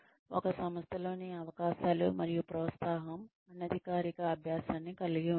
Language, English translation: Telugu, The opportunities and encouragement, within an organization, constitute informal learning